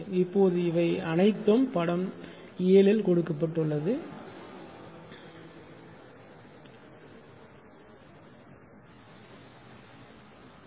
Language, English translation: Tamil, Now, all this thing this is actually figure 7 this is figure 7